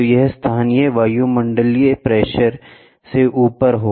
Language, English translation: Hindi, So, then it is above the local atmospheric pressure